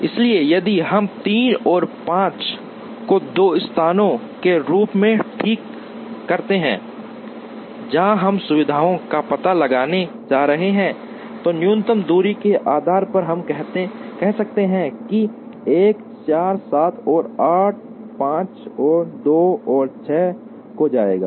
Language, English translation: Hindi, So, if we fix 3 and 5 as the two places, where we are going to locate the facilities then based on minimum distance we may say that, 1 4 7 and 8 will go to 5 and 2 and 6 will go to 3